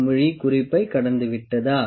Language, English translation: Tamil, So, has the bubble cross the marking